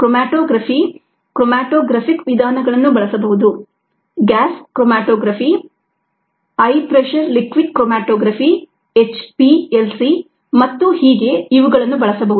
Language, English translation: Kannada, chromatography, matographic methods can be used: gascromatography, high pressure liquid chromatography, HPLC, so on